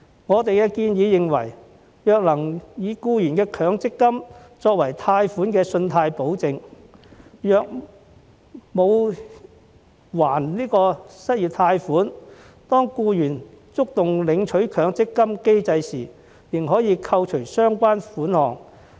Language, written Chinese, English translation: Cantonese, 我們建議，若能以僱員的強積金作為貸款的信貸保證，如僱員沒有償還失業貸款，當他觸動領取強積金的機制時，便可以扣除相關款項。, We propose that if the employees Mandatory Provident Fund MPF can be used as a credit guarantee for the loan in the case where the employee fails to repay his unemployment loan the relevant amount can be deducted when he triggers the mechanism to withdraw the MPF accrued benefits